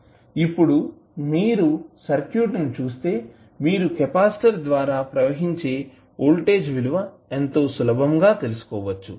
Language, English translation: Telugu, Now, if you see the circuit you can easily find out what would be the voltage across capacitor